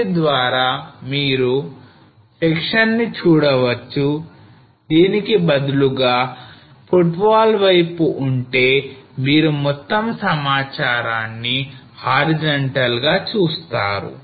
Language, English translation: Telugu, So this you will be able to see in the section rather is on the footwall side you see all data are horizontal